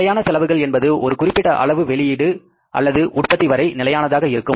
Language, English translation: Tamil, Fixed expenses remain fixed up to a certain level of output or the production